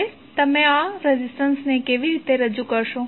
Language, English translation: Gujarati, Now, how you will represent this resistance